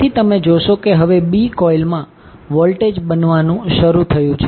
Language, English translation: Gujarati, So, you will see now the voltage is started building up in B coil